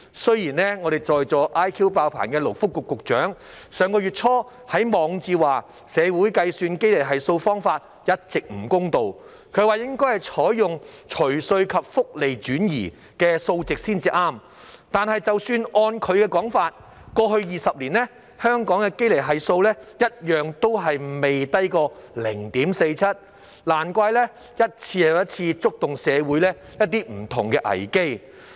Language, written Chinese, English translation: Cantonese, 雖然我們在席 IQ" 爆棚"的勞工及福利局局長上月初在其網誌提到，社會計算堅尼系數方法一直不公道，應該採用"除稅及福利轉移後"的數值才正確，但是即使按其說法，過去20年，香港的堅尼系數一樣都未低過 0.47， 難怪一次又一次觸發不同的社會危機。, Our Secretary for Labour and Welfare who is present and has an IQ off the charts mentioned in hiqqs blog early last month that the community had been using an unfair method to calculate the Gini coefficient and that data based on post - tax post - social transfer monthly household income should be used for correct calculation but even based on what he said the Gini coefficient for Hong Kong has never been lower than 0.47 in the past 20 years . No wonder different social crises have been triggered one after another